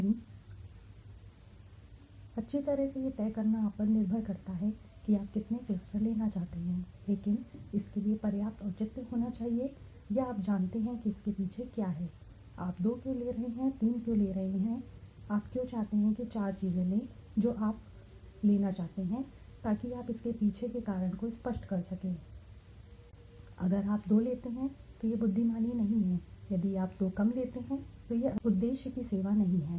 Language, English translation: Hindi, three right, well it is all up to you to decide how many clusters you want to take, but there has to be a sufficient justification or you know backing behind it, okay why you are taking two, why you are taking three, why you want to take four anything that you want to take you to justify the reason behind it right obviously, if you take two many it is not wise, if you take two less it is not serving the purpose okay